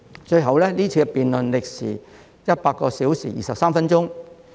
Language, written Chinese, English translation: Cantonese, 最後，該項辯論歷時100小時23分鐘。, At the end the debates took 100 hours and 23 minutes to conclude